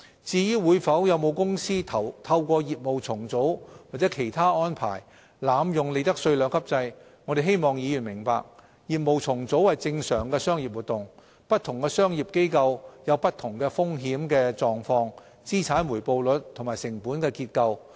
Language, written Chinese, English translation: Cantonese, 至於會否有公司透過業務重組或其他安排濫用利得稅兩級制，我們希望議員明白，業務重組是正常的商業活動，不同商業機構有不同的風險狀況、資產回報率和成本結構。, As for whether companies will abuse the two - tiered profits tax rates regime through business restructuring or other arrangements we hope Members will understand that business restructuring is a normal commercial activity . Different business set - ups can have divergent risk profiles return on assets and cost structures